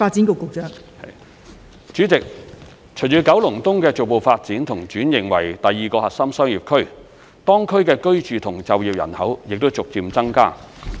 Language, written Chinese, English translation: Cantonese, 代理主席，隨着九龍東的逐步發展和轉型為第二個核心商業區，當區的居住和就業人口正逐漸增加。, Deputy President with the gradual development and transformation of Kowloon East into the second Core Business District CBD the residential and working populations in the area are progressively increasing